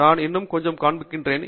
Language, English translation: Tamil, I will show you some more